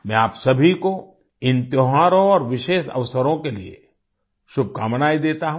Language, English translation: Hindi, I wish you all the best for these festivals and special occasions